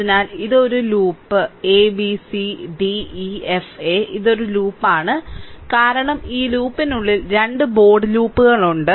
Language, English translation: Malayalam, So, this is a loop a b c d e f a, this is a loop because within this loop that 2 bold loops are there